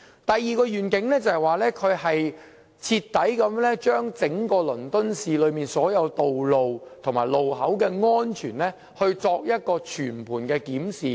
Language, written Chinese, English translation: Cantonese, 第二個願景，他要對整個倫敦市內所有道路和路口的安全，作出徹底和全盤的檢視。, The second target he set was to conduct a thorough and holistic examination of the safety of all roads and intersections in the City of London